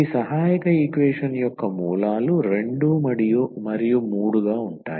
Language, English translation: Telugu, So, that is the solution the roots of this auxiliary equation as 2 and 3